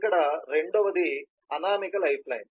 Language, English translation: Telugu, the second one here is an anonymous lifeline